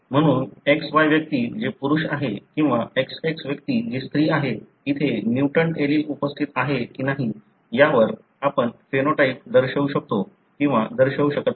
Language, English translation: Marathi, So depending on whether a mutant allele is present on XY individual that is male or XX individual that is female, you may or may not show a phenotype